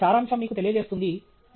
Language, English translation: Telugu, So, the summary conveys that to you